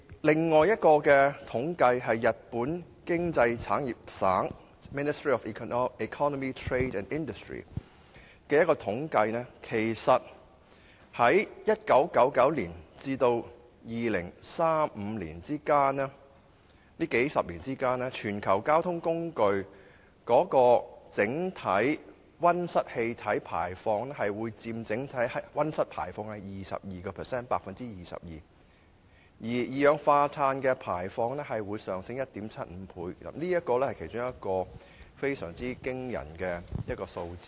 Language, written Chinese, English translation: Cantonese, 另一項由日本經濟產業省進行的統計則指出，在1999年至2035年這數十年間，全球交通工具所排放的溫室氣體佔整體溫室氣體排放量的 22%， 而二氧化碳的排放將上升 1.75 倍，這是其中一個非常驚人的數字。, As revealed in another statistical survey conducted by the Ministry of Economy Trade and Industry of Japan in the few decades from 1999 to 2035 global greenhouse gas emissions from different modes of transport will account for 22 % of the total greenhouse gas emissions and carbon dioxide emissions will increase by 1.75 times . This is one of the very astonishing figures we have